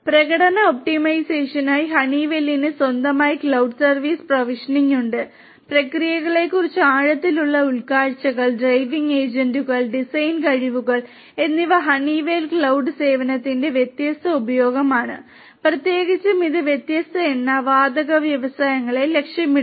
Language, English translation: Malayalam, Honeywell also has its own cloud service provisioning for performance optimization, deeper insights into the processes, driving agents and design skills these are different use of the Honeywell cloud service and this is particularly targeted for different oil and gas industries